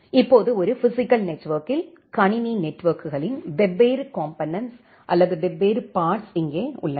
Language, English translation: Tamil, Now, here are the different parts or different components of computer networks in a physical network